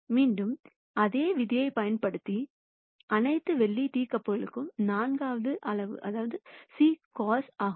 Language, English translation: Tamil, Again using the same rule all silver teacups the fourth quadrant is c cos